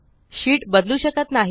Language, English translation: Marathi, The sheet cannot be modified